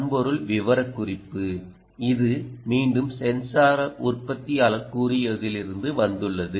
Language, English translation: Tamil, the hardware specification: this is again from what the sensor manufacturer has mentioned